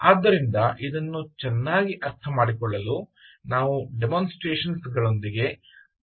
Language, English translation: Kannada, all right, so to understand this better, lets start the demonstrations